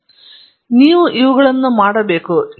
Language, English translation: Kannada, So, these are what you have to do